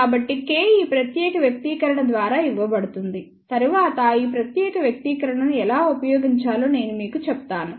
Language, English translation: Telugu, So, K is given by this particular expression, later on I will tell you how to drive this particular expression